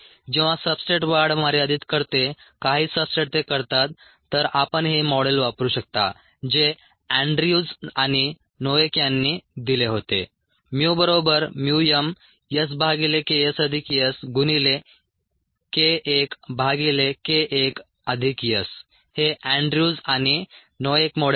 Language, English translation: Marathi, when the substrates happen to limit growth some substrates do that then you could use this model, which is given by andrews and noack: mu equals mu m s by k s plus s into k i, the inhibition constant k i by k i plus s